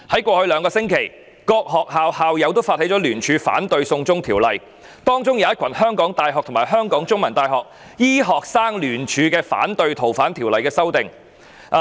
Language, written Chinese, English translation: Cantonese, 過去兩星期，各學校的校友發起聯署反對"送中條例"，包括一群港大及香港中文大學醫科生聯署聲明反對對《逃犯條例》的修訂。, Over the past two weeks many alumni from different schools have initiated joint petitions in opposition to the extradition law including medical students from HKU and The Chinese University of Hong Kong who have also signed a joint petition to oppose the amendment of the Fugitive Offenders Ordinance